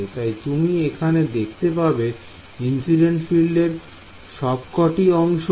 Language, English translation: Bengali, So, you can see all the incident field terms are going to appear here